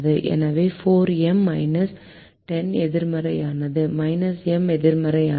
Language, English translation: Tamil, so minus four m is negative